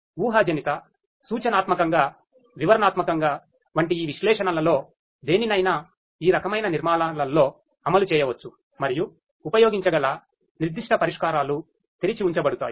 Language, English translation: Telugu, But any of these analytics like the predictive, prescriptive, descriptive any kind of analytics could be implemented in most of these architectures and the specific solutions that could be used are left open